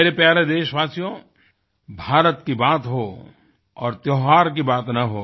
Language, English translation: Hindi, My dear countrymen, no mention of India can be complete without citing its festivals